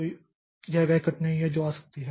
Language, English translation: Hindi, So, this is the difficulty that can come